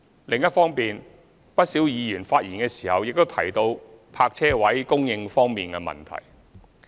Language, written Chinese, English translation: Cantonese, 另一方面，不少議員發言時亦提到泊車位供應方面的問題。, On the other hand many Members have also mentioned the provision of parking spaces in their speeches